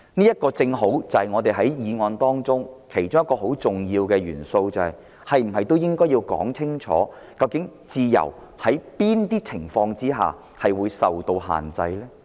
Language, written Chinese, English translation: Cantonese, 這正好是我們辯論這項議案中其中一個很重要的元素。當局是否應該清楚說明，在哪些情況下自由會受到限制？, This is precisely one of the most important elements of this motion debate Should the authorities state clearly under what circumstances freedom will be restricted?